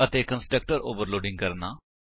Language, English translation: Punjabi, This is constructor overloading